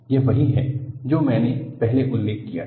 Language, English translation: Hindi, This is what I had mentioned earlier